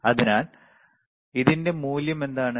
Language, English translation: Malayalam, So, what is the value of this one